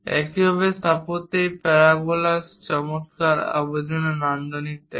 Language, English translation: Bengali, Similarly, in architecture also this parabolas gives aesthetic aspects in nice appeal